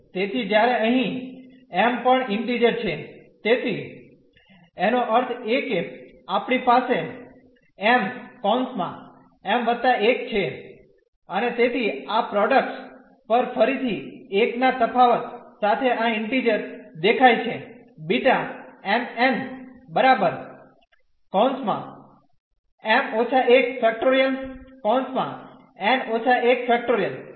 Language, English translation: Gujarati, So, when here m is also integer, so; that means, we have m m plus 1 and so on this product again appearing of these integers with the difference of 1